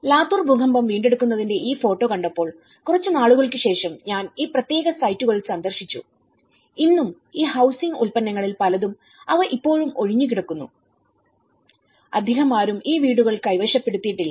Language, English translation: Malayalam, When I saw this photograph of the Latur Earthquake recovery and after some time I visited these particular sites and even today, many of these housings products they are still vacant not many people have occupied these houses